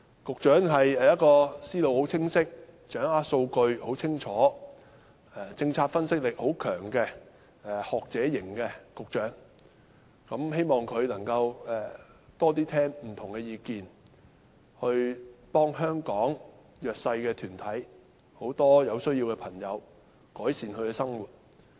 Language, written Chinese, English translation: Cantonese, 局長是一位思路非常清晰、清楚掌握數據，以及政策分析力很強的學者型局長，希望他能聆聽更多不同的意見，協助香港弱勢社群及眾多有需要的人士改善生活。, The Secretary is a clear - headed academic with a clear grasp of data and strong analytical power in policy analysis . I hope he can listen more to different views and help the disadvantaged and numerous people in need improve their living in Hong Kong